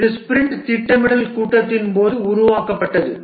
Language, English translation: Tamil, This is created during the sprint planning meeting